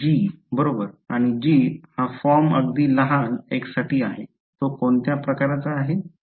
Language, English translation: Marathi, g right and g is of the form for very small x it is of what form